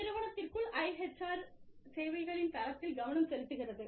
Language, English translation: Tamil, Focusing on the quality of IHR services, within the enterprise